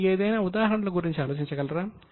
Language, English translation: Telugu, Can you think of any examples